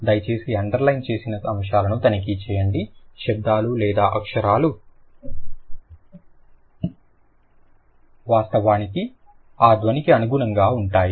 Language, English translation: Telugu, Please check the underline things like which sounds or which two letters actually correspond to that sound